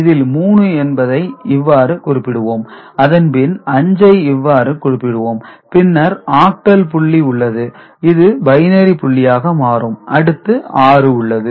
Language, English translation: Tamil, So, 3 we represent it in this manner, 5 represented by this is the octal point which becomes a binary point, and 6 is this one right